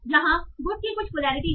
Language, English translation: Hindi, So good has some polarity